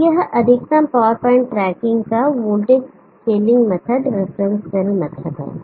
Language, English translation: Hindi, So this is the voltage scaling method reference cell method of maximum power point tracking